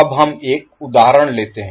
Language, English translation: Hindi, Now let us take one example